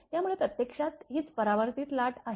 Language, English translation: Marathi, So, it is actually this is the reflected wave